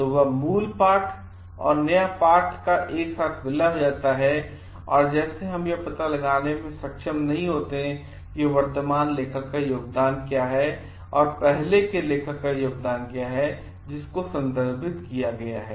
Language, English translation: Hindi, So, that original text and the new text gets merged together and like we are not able to find out like which is the contribution of the present author and what is the contribution of the earlier author who has been referred